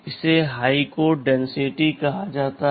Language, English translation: Hindi, This is something called high code density